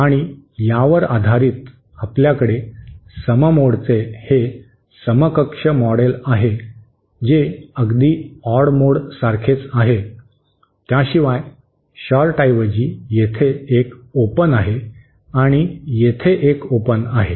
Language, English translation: Marathi, And based on this, we have this equivalent model of for the even mode which is exactly the same as odd mode, except that instead of short, there is an open here and there is an open here